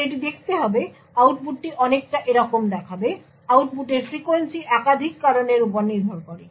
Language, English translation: Bengali, Now it would look, the output would look something like this, the frequency of the output depends on multiple factors